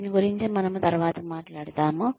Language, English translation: Telugu, We will talk more about this later